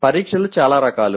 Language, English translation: Telugu, Tests can be many varieties